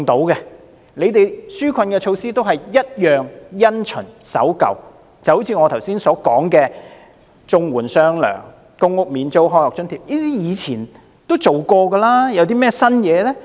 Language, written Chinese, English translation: Cantonese, 政府的紓困措施也是"一樣、因循和守舊"，就正如我剛才說的綜援"出雙糧"、公屋免租、開學津貼等，這些措施以前已經提出及實行過，有甚麼新意呢？, The relief measures of the Government are also no different conventional and conservative . In regard to measures like the grant of one more month of CSSA payment rent waiver for PRH units and the student grant for the new school year that I mentioned earlier these measures have been introduced and implemented before . How innovative are they?